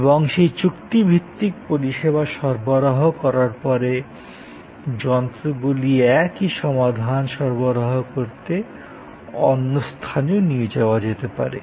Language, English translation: Bengali, And after that contract that service is provided, the machines and other setups can move to another site to provide the same solution